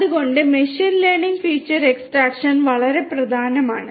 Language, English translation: Malayalam, So, in machine learning feature extraction is very important